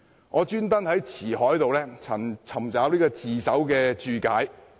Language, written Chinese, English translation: Cantonese, 我特地在《辭海》尋找"自首"一詞的解釋。, I have looked up the definition of the term surrender in Ci Hai